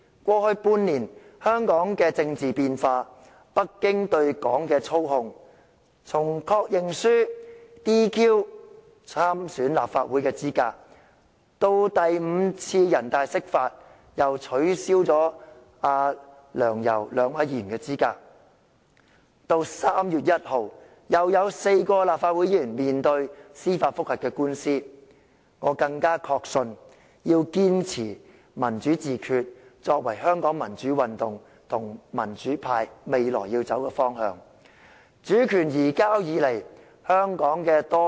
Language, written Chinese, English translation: Cantonese, 過去半年，我目睹香港的政治變化及北京對本港的操控，從以確認書 "DQ" 參選立法會的資格，到第五次人大釋法，繼而取消梁、游兩位議員的資格，到3月1日又有4位議員面對司法覆核的聆訊，我更確信要堅持"民主自決"作為香港民主運動及民主派未來的方向。, In the last six months I have witnessed the political changes in Hong Kong and the control imposed by Beijing on Hong Kong―from the disqualification of candidacy of the Legislative Council Election by means of the Confirmation Form the fifth interpretation of the Basic Law by the Standing Committee of the National Peoples Congress NPCSC the subsequent disqualification of two Legislative Council Members Sixtus LEUNG and YAU Wai - ching to the judicial review hearing involving four Members on 1 March . All of these have further consolidated my conviction that we have to persist with democratic self - determination as the future direction for the democratic movement and the pro - democracy camp in Hong Kong